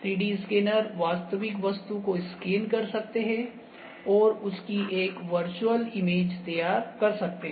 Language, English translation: Hindi, So, 3D scanners can scans the real object and produce a virtual image of that ok